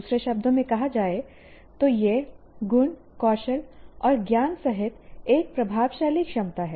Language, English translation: Hindi, Stating in other words, it is an effective ability including attributes, skills and knowledge